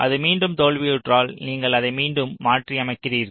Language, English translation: Tamil, if it fails again you go back again you modify it